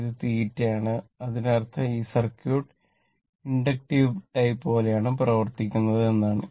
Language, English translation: Malayalam, And this is theta, so that means, this circuit behave like inductive type